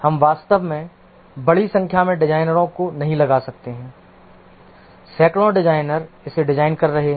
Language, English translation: Hindi, We cannot really put large number of designers, hundreds of designers designing it